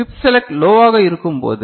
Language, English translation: Tamil, And when chip select is low